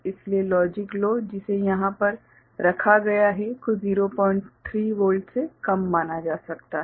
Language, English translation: Hindi, So, logic low that is placed over here can be considered as less than 0